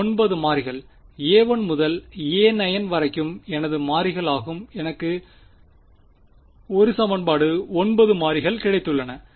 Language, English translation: Tamil, 9 variables a 1 to a 9 are my variables